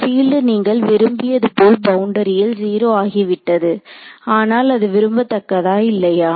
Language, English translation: Tamil, Field went to 0 like you wanted at the boundary, but is it desirable or undesirable